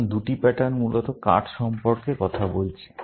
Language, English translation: Bengali, So, two patterns are talking about cards, essentially